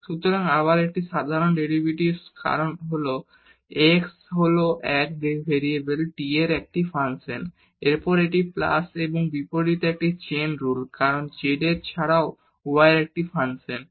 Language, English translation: Bengali, So, it is again an ordinary derivative because x is a function of 1 variable t and then this is a chain rule against of plus this because z is a function of y as well